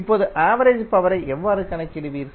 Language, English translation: Tamil, Now, how you will calculate average power